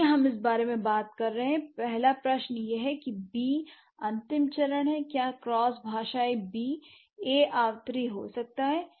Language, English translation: Hindi, So, considering we are talking about this, the first question is that given B is the final stage, what are the cross linguistically recurrent A's that B can come